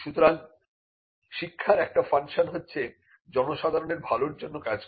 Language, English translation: Bengali, So, teaching had a function that was directed towards the good of the public